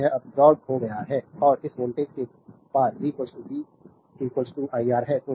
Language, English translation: Hindi, So, it absorbed power and across this voltage is v, v is equal to iR